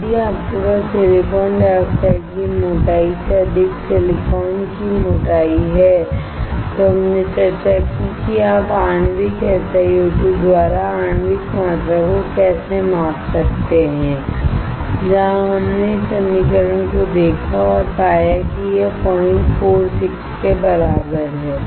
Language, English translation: Hindi, If you have thickness of silicon over thickness of silicon dioxide, we discussed how you can measure the molecular volume by molecular SiO2 where we saw this equation and found that it equal to 0